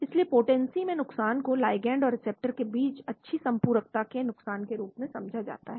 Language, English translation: Hindi, So a loss in potency is interpreted as a loss of good complementarity between the ligand and thw receptor